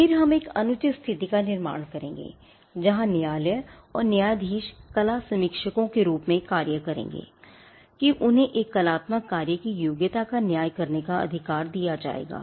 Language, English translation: Hindi, Then we would create an unfair situation where quotes and judges will now act as art critics in the sense that they would now be given the right to judge the merit of an artistic work